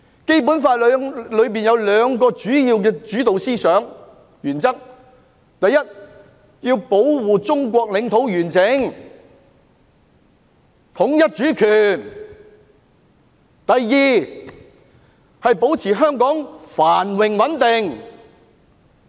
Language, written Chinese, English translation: Cantonese, 《基本法》中有兩個主要的主導思想和原則：第一，要保護中國領土完整，統一主權；以及第二，保持香港繁榮穩定。, There are two main guiding ideas and principles in the Basic Law first upholding national unity and territorial integrity; and second maintaining the prosperity and stability of Hong Kong